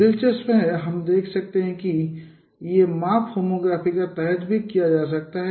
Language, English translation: Hindi, Let us discuss how an angle could be measured under homography